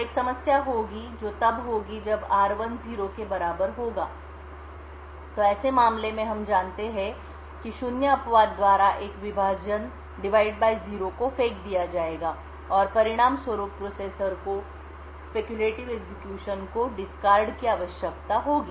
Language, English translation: Hindi, So, there would be a problem that would occur if r1 happens to be equal to 0, in such a case we know that a divide by zero exception would be thrown and as a result the processor would need to discard the speculated execution